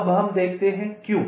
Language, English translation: Hindi, now lets see why